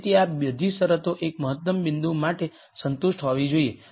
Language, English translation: Gujarati, So, all of these conditions have to be satisfied for an optimum point